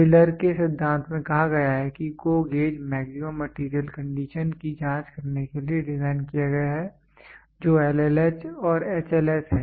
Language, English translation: Hindi, Taylor’s principle states that the GO gauge is designed to check maximum material condition that is LLH and HLS